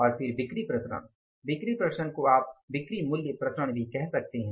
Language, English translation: Hindi, Sales variances are you can say sales value variance and sales price variance